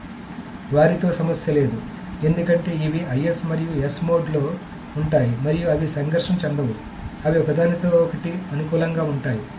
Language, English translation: Telugu, There is no issue with them because these are either in IS and S modes and they do not conflict